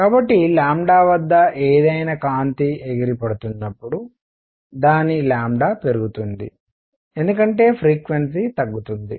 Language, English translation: Telugu, So, any light at lambda as it bounces it’s lambda is going to increase because frequency is going to go down